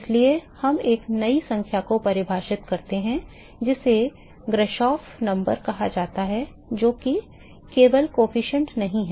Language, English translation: Hindi, So, therefore, we define a new number called Grashof number which is not simply the coefficient